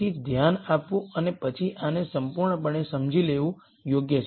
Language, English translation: Gujarati, So, it is worthwhile to pay attention and then understand this completely